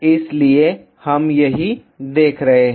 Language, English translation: Hindi, So, that is what we are looking at